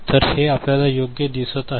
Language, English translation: Marathi, So, this is the one that we see right